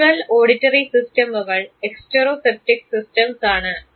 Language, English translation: Malayalam, The visual and auditory systems are exteroceptive systems